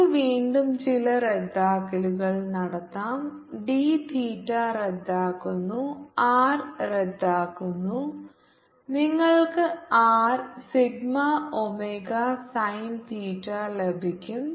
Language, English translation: Malayalam, let's again do some cancelation: d theta cancels, r cancels and you get r sigma, omega, sin theta